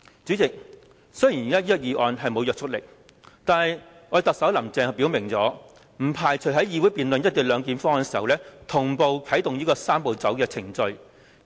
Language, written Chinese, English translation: Cantonese, 主席，雖然現時這項議案不具約束力，但特首"林鄭"已經表明，不排除在議會辯論"一地兩檢"方案時，同步啟動"三步走"程序。, President this government motion carries no legislative effect . But Chief Executive Carrie LAM has already made it clear that she does not preclude the possibility of initiating the Three - step Process while the legislature is still debating the co - location arrangement